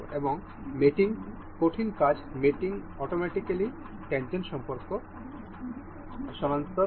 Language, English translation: Bengali, And it the mating uh solid works mating automatically detects the tangent relation